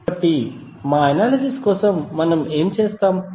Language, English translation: Telugu, So, for our analysis what we will do